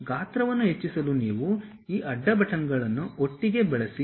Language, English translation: Kannada, You want to increase the size use these side buttons together